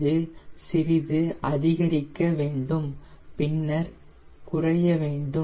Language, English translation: Tamil, it should increase a bit and then drop